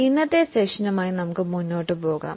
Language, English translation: Malayalam, So, let us go ahead with today's session